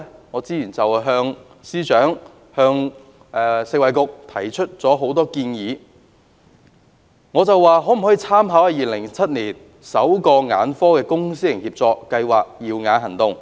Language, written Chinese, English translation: Cantonese, 我早前向司長和食物及衞生局提出多項建議，我詢問當局可否參考2007年首個眼科公私營協作計劃"耀眼行動"。, I have recently put forward a number of proposals to the Secretary for Food and Health and the Food and Health Bureau . I have asked the authorities to draw reference from the Cataract Surgeries Programme the first public - private partnership PPP programme in ophthalmology launched in 2007